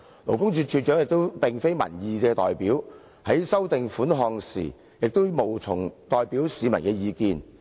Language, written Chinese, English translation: Cantonese, 勞工處處長亦並非民意代表，在修訂款項時，無從代表市民的意見。, Besides the Commissioner for Labour is not a representative of the people and so he cannot represent public opinion in revising the amount